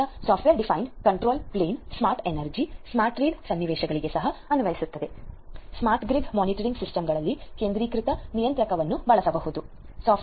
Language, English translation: Kannada, So, software defined control plane is also applicable for smart energy, smart read scenarios, in smart grid monitoring systems one could be used using the centralized controller